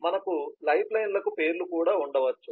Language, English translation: Telugu, we may have names for the lifelines as well